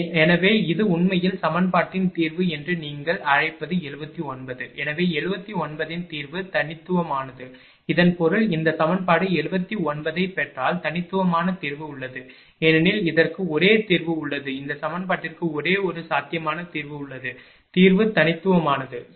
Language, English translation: Tamil, So, this is actually, your what you call that solution of equation 17th therefore, the solution of 79 is unique; that means, if this whatever solution we got that equation 79, there is unique solution because, it has only one solution this equation has the one feasible solution the solution is unique, right